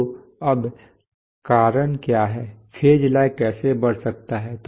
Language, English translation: Hindi, So now what are the causes, how can phase lag increase